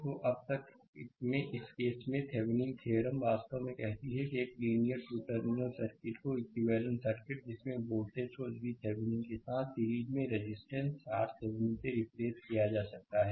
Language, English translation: Hindi, So, in this now in this case, Thevenin’s theorem actually states a linear 2 terminal circuit can be replaced by an equivalent circuit consisting of a voltage source V Thevenin in series with your resistor R Thevenin